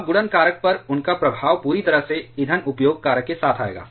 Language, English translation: Hindi, Now their effect on the multiplication factor will come solely with the fuel utilization factor